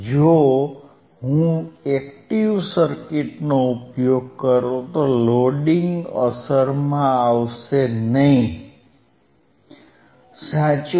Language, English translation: Gujarati, iIf I use active circuit, the loading will not come into play, correct